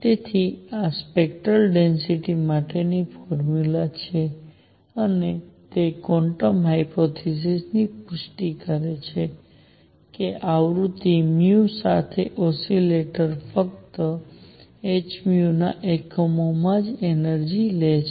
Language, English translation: Gujarati, So, this is the formula for the spectral density and it confirms quantum hypothesis that is that the oscillator with frequency nu can take energies only in units of h nu